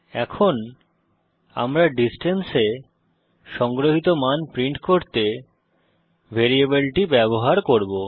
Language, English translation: Bengali, Now we shall use the variable distance to print the value stored in it